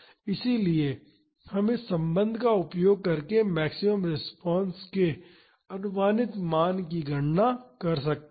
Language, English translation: Hindi, So, we can calculate the approximate value of the maximum response using this relationship